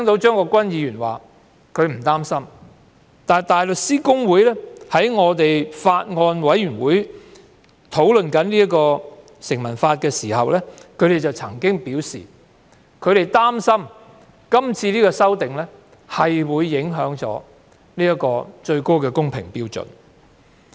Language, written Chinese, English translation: Cantonese, 張國鈞議員表示他並不擔心，但香港大律師公會在有關的法案委員會會議上討論《條例草案》時曾經表示，他們擔心是次修訂會影響高度公平標準。, While Mr CHEUNG Kwok - kwan said that he was not worried about all this the Hong Kong Bar Association once expressed its concern during a discussion on the Bill at the relevant Bills Committee meeting that this amendment exercise might affect the high standard of fairness